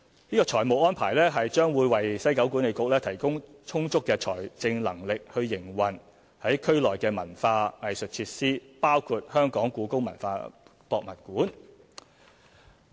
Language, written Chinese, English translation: Cantonese, 這個財務安排將會為西九管理局提供充足的財政能力營運區內文化藝術設施，包括故宮館。, This financial arrangement will enable WKCDA to have adequate financial capability to run the cultural and arts facilities in WKCD including HKPM